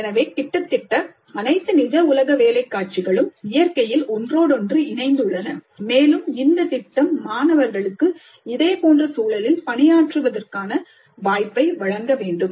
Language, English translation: Tamil, So almost all real world work scenarios are interdisciplinary in nature and the project must provide the opportunity for students to work in a similar context